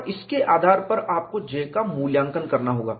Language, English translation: Hindi, And based on that, you will have to evaluate J